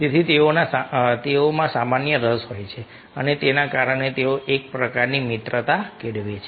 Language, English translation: Gujarati, so they have some common interest and because of that they develop sort of friendship